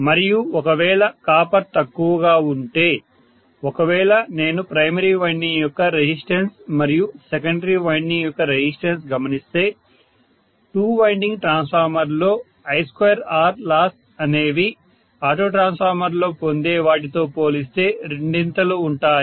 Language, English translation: Telugu, So the major advantage is saving on copper and if I am having saving on copper, obviously if I am looking at the resistance of the primary winding and resistance of the secondary winding I would have twice the I square R losses in a two winding transformer as compared to what I would get in an auto transformer